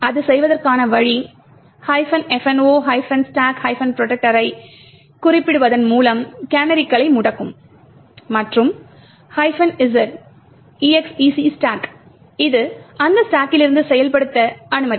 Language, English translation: Tamil, The way to do it is by specifying minus f no stack protector which would disable canaries and minus z execute stack which would permit execution from that stack